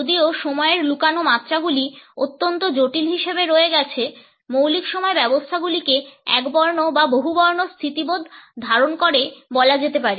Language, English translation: Bengali, Though the hidden dimensions of time remain to be exceedingly complex, basic time systems can be termed as possessing either monochronic or polychronic orientations